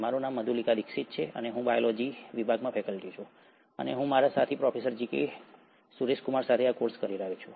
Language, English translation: Gujarati, My name is Madhulika Dixit and I am a faculty at Department of Biotechnology, and I am taking this course along with my colleague, Professor G K Suraish kumar